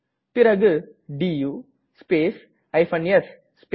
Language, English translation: Tamil, Then type du space s space *